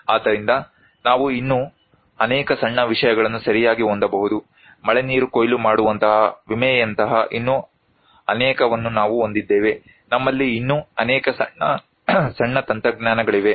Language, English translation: Kannada, So, we can have many more such small things right, we have many more such like insurance, like rainwater harvesting, we have many more such small technologies